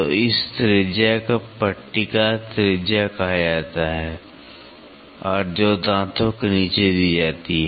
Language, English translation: Hindi, So, this radius is called as fillet radius which is given at the bottom of the teeth